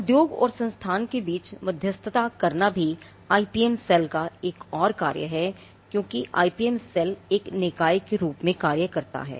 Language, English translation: Hindi, Now mediating between industry and the institute is also another function of the IPM cell because, the IPM cell acts as a body that can bring the industry